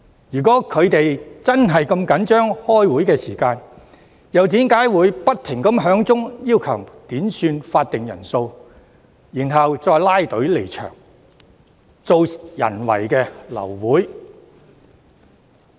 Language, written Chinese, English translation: Cantonese, 如果他們真的如此着緊開會時間，又為何不斷要求點算法定人數，然後拉隊離場，製造人為流會？, If they really care so much about the meeting time why did they keep requesting headcounts and then left the Chamber altogether causing the abortion of the meeting?